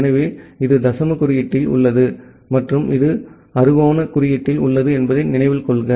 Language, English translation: Tamil, So, note that this is in the decimal notation and this is in the hexadecimal notation